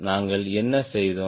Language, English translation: Tamil, what we have done